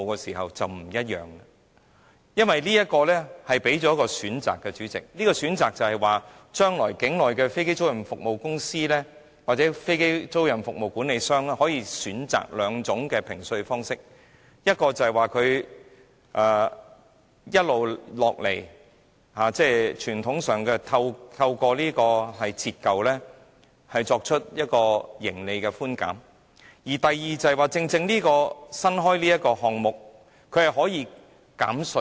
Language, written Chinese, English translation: Cantonese, 主席，因為這樣就會提供多一個選擇，將來境內的飛機租賃公司或飛機租賃服務管理商可以選擇兩種評稅方式，一種是傳統透過折舊作出營利寬減；而第二種就是現時這個新稅務寬減方式。, Chairman it is because this will provide an additional option . In the future aircraft lessors or aircraft leasing managers can choose between two tax assessment options . One is to obtain profits tax concessions in the form of depreciation allowance which is the traditional approach; and the other is to do so through this new tax concession regime